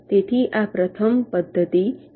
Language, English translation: Gujarati, so this is the first method